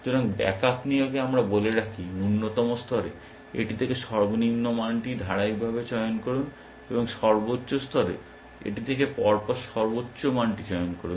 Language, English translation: Bengali, So, the backup rule let we said, that at min level, choose the lowest value from it is successive, and at max level, choose the highest value from it successive